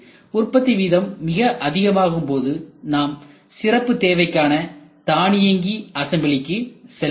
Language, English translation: Tamil, When their production rate is extremely high we go for special purpose automatic machines